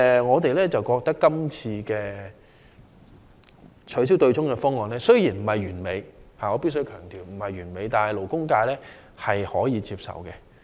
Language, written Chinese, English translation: Cantonese, 我們認為，這次取消對沖的方案雖然稱不上是完美——我必須強調是不完美的——但勞工界仍可以接受。, In our view even though it cannot be said that the proposal on abolishing the offsetting arrangement this time around is perfect―I must emphasize that it is not perfect―the labour sector still finds it acceptable